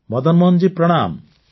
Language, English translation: Odia, Madan Mohan ji, Pranam